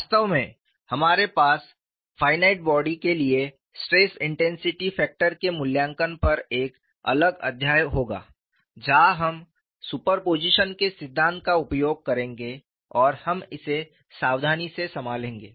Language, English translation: Hindi, In fact, we would have a separate chapter on evaluating stress intensity factor for finite bodies, where we would use principle of superposition and we would handle that carefully